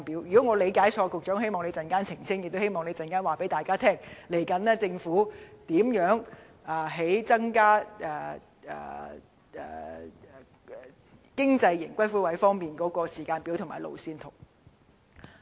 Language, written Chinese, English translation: Cantonese, 如果我的理解錯誤，希望局長稍後澄清，亦希望他告訴大家，政府未來增加"經濟型"龕位的時間表及路線圖。, If I have mistaken I hope the Secretary will clarify later on and I also hope that he will tell us the timetable and roadmap for the increase of the economy niches